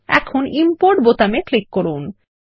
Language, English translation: Bengali, Now click on the Import button